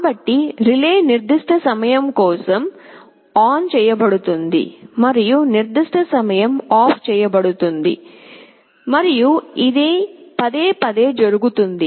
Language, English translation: Telugu, So, the relay will be turned ON for certain time and turned OFF for certain time, and this will happen repeatedly